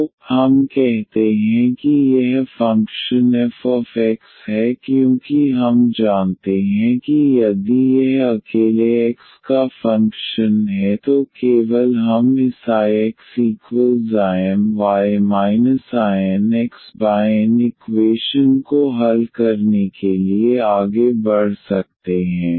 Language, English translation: Hindi, So, we say let us this is the function f x because we assume that if this is a function of x alone then only we can proceed for solving this I x is equal to I M y minus I N x over N equation